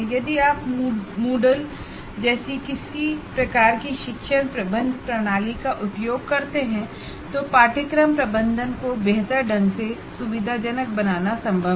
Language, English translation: Hindi, Like if you use a some kind of learning management system like model, it is possible to facilitate course management significantly in that